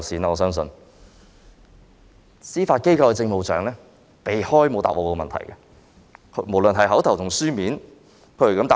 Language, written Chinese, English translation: Cantonese, 至於司法機構政務長，她則避開我的問題，沒有回答。, As for the Judiciary Administrator she evaded my question without providing an answer